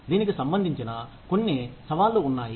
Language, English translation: Telugu, There are some challenges